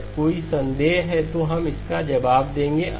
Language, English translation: Hindi, If there is a doubt, we will answer it